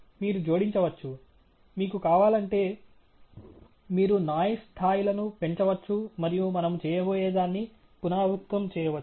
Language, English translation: Telugu, You can add… if you want, you can increase the levels of noise and repeat whatever we are going to do